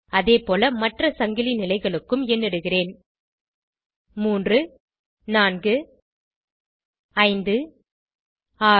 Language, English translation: Tamil, Likewise I will number the other chain positions as 3, 4, 5, 6 and 7